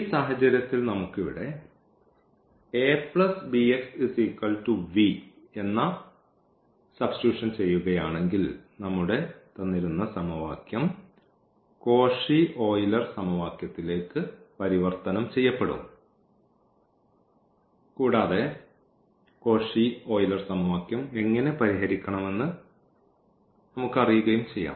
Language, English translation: Malayalam, Now, here we will be talking about the idea that there are some equations which can be reduced to this Cauchy Euler form and then we know how to solve the Cauchy Euler form